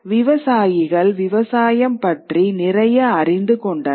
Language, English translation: Tamil, Farmers learned a lot more about farming